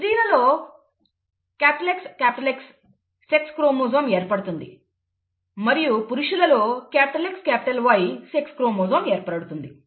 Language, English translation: Telugu, The female has an XX sex chromosome occurrence and the male has a XY sex chromosome occurrence